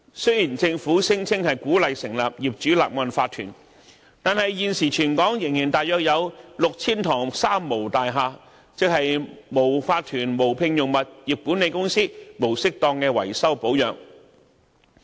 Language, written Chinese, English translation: Cantonese, 雖然政府聲稱鼓勵成立法團，但現時全港仍大約有 6,000 幢"三無"大廈，即是無法團、無聘用物業管理公司及無適當維修保養。, Despite the Governments claim of encouraging the setting up of OCs there are still around 6 000 three - nil buildings in Hong Kong which have not formed any OC not hired any property management company and not undergone proper repairs and maintenance